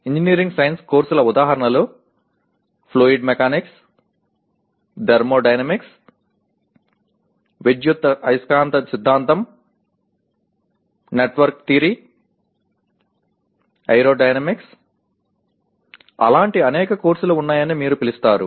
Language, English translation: Telugu, Engineering science courses examples Are Fluid Mechanics, Thermodynamics, Electromagnetic Theory, Network Theory, Aerodynamics; you call it there are several such courses